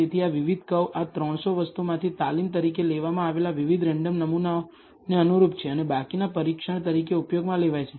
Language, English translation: Gujarati, So, these different curves correspond to different random samples taken from this 300 thing as training and the remaining is used as testing